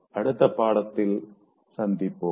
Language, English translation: Tamil, See you again in the next one